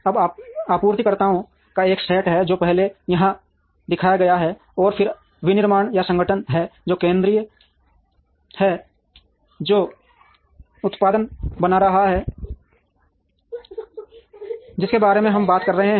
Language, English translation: Hindi, Now, there are a set of suppliers, which is shown first here, and then there is the manufacturing or the organization, which is central which is making the product that we are talking about